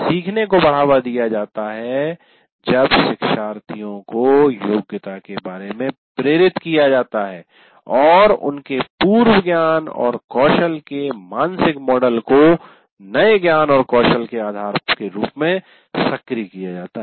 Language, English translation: Hindi, And learning is promoted when learners are motivated about the competency and activate the mental model of their prior knowledge and skill as foundation for new knowledge and skills